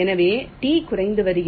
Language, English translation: Tamil, so t is decreasing